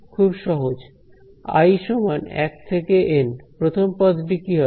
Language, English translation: Bengali, Again very simple i is equal to 1 to N, what should the first term be